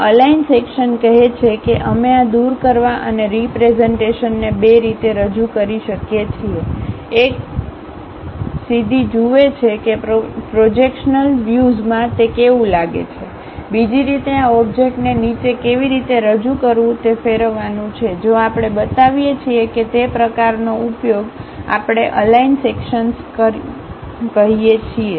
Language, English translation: Gujarati, This aligned section says, we can represent these removal and representation by two ways; one straight away see that in the projectional view, how it looks like, the other way is rotate this object all the way down how that really represented, that kind of use if we are showing, that we call aligned sections